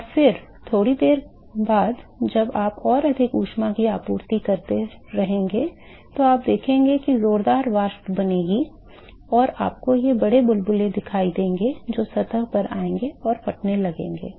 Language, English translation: Hindi, And then after a while when you continue to supply heat further more you will see that there will be vigorous vapors which are formed and you will see these big bubbles which will come to the surface and start bursting